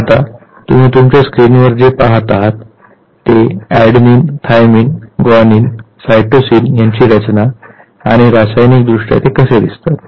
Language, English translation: Marathi, Now, on your screen what we see is the structure of adenine, thymine, cytosine and guanine; how they a look like chemically